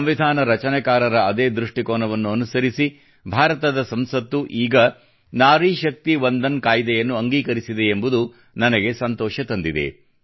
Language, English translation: Kannada, It's a matter of inner satisfaction for me that in adherence to the farsightedness of the framers of the Constitution, the Parliament of India has now passed the Nari Shakti Vandan Act